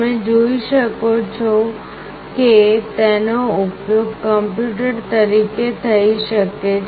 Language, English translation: Gujarati, You can see that it can be used as a computer itself